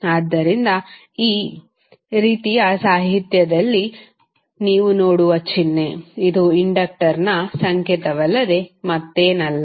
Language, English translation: Kannada, So the symbol you will see in the literature like this, which is nothing but the symbol for inductor